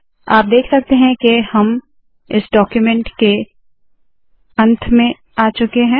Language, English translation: Hindi, You can see that we have come to the end of this document